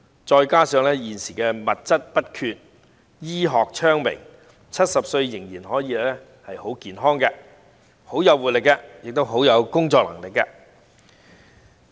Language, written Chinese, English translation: Cantonese, 再加上現今的物質不缺，醫學昌明 ，70 歲依然可以很健康、很有活力，以及有很好的工作能力。, Adding that there are abundant resources and well - developed medical technologies nowadays people aged 70 can still be very healthy very energetic and have very good working ability